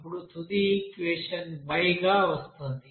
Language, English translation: Telugu, Now final equation then it will be coming as here y